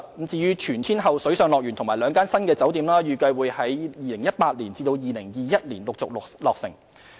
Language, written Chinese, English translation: Cantonese, 至於全天候水上樂園和兩間新酒店，預計會在2018年至2021年陸續落成。, An all - weather water park and two new hotels are scheduled for completion one after another between 2018 and 2021